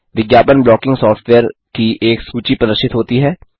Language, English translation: Hindi, A list of Ad blocking software is displayed